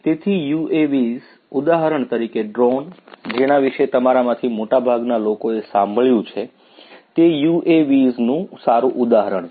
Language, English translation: Gujarati, So, you UAVs; drones for example, which most of you have heard of are good examples of UAVs